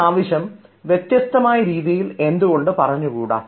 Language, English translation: Malayalam, why cannot you say it in a different manner